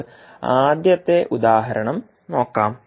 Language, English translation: Malayalam, Let us take first example